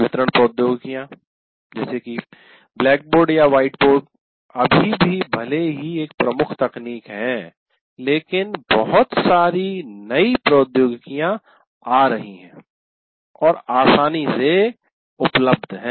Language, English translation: Hindi, Delivery technologies while still blackboard or whiteboard is the dominant technology, but plenty of new technologies are coming and are available now readily